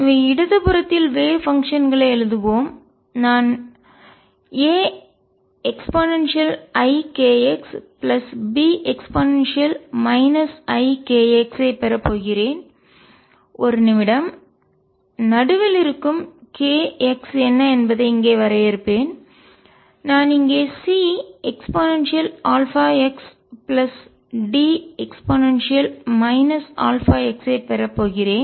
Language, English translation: Tamil, So, let us write the wave functions on the left I am going to have a e raise to i k x plus B e raise to minus i k x i will define in a minute what k x are in the middle here I am going to have c e raise to alpha x plus D e raise to minus alpha x